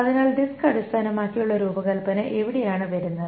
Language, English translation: Malayalam, So where is the disk based design coming